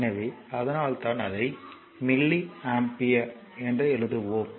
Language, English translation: Tamil, So, that is why you are writing it is milli ampere